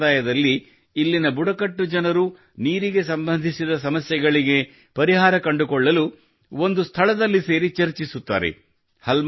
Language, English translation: Kannada, Under this tradition, the people of this tribe gather at one place to find a solution to the problems related to water